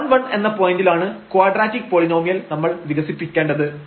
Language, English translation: Malayalam, And we want to expand this only the quadratic polynomial around this point 1 1